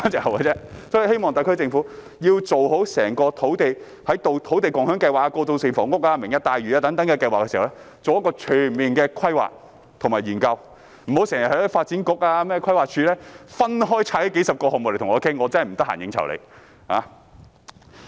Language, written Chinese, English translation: Cantonese, 我希望特區政府在推行土地共享計劃、過渡性房屋、"明日大嶼"等計劃時，做好全面的規劃及研究，發展局、規劃署不要時常分拆數十個項目來商議，我真的沒空應酬他們。, I hope that in introducing such plans as the land sharing scheme transitional housing and the Lantau Tomorrow project the SAR Government will conduct comprehensive planning and studies . Moreover the Development Bureau and the Planning Department should avoid splitting the projects into dozens of items for discussions as they usually do because I really do not have the time to entertain them